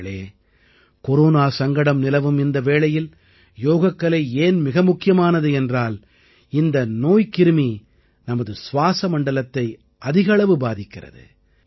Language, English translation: Tamil, during the present Corona pandemic, Yoga becomes all the more important, because this virus affects our respiratory system maximally